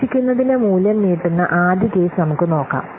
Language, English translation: Malayalam, So let's see first case, the extending case, extending value of the or expected